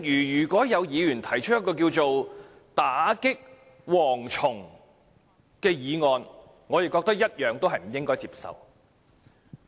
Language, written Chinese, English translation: Cantonese, 如果有議員提出一項"打擊'蝗蟲'"議案，我同樣認為不應該接受。, If a Member proposes a motion of Combating locusts I will also consider that unacceptable